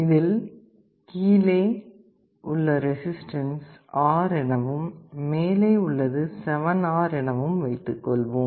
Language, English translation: Tamil, The lowest one has a resistance R below and 7R above